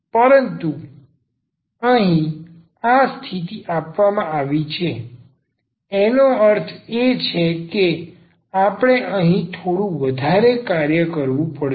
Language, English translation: Gujarati, But here this condition is given; that means, we have to do little more here